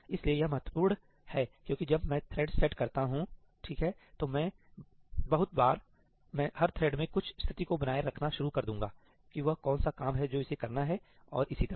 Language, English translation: Hindi, So, this is important because when I set up threads , a lot of times I will start maintaining some state in every thread that what is the work it is supposed to do and so on